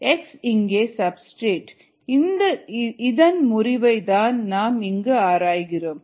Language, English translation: Tamil, x is the substrate here, the breakdown of which we are studying